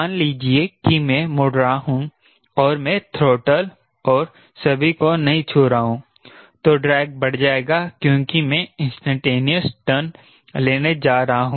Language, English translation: Hindi, suppose i am turning and i am, i am not touching the throttle and all the drag will increase as i am going to take a instantaneous turn, so it will reduce the speed